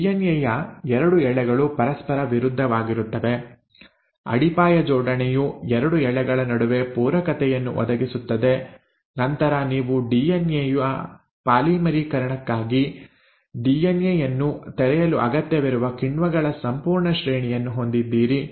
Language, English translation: Kannada, The 2 strands of DNA are antiparallel, the base pairing provides the complementarity between the 2 strands and then you have a whole array, array of enzymes which are required for uncoiling of the DNA, for polymerisation of DNA